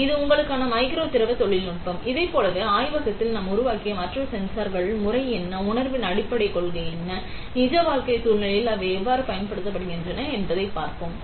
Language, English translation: Tamil, So, that is micro fluid technology for you; like this we will see other sensors that we have fabricate in the lab, what are the method, what are the underlying principle of sensing, and how they are applied in a real life scenario